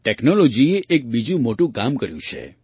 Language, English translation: Gujarati, Technology has done another great job